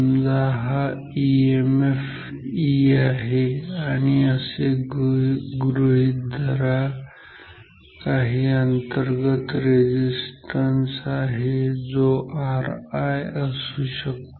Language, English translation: Marathi, So, this is the emf E known, so, this that we can have some internal resistance may be r i